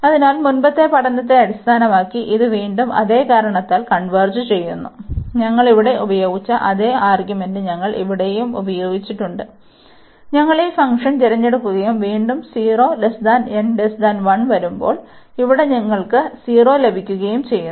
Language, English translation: Malayalam, So, based on the earlier study again this converges the same reason, which we have use the same argument which we have used here, we will choose this function and again here when n is between 0 and 1, the same limit you will get 0